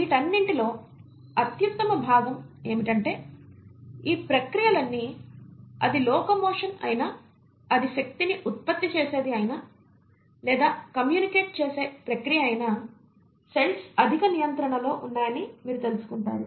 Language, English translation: Telugu, And the best part among all these is that all these processes, whether it is of locomotion, whether it is of generating energy, it is a process of communicating, you find that the cells are highly regulated